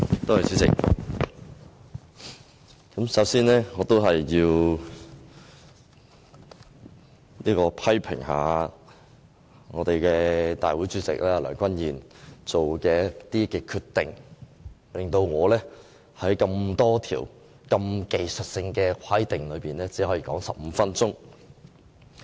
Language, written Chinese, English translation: Cantonese, 代理主席，首先，我要批評大會主席梁君彥所作的決定，令我只可以就多項技術性修訂說15分鐘。, Deputy President first I must condemn President Andrew LEUNG for his decision to give me only 15 minutes for making a speech on so many technical amendments